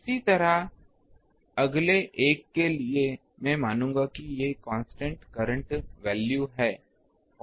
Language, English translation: Hindi, Similarly, for the next one I will assume this is the constant current value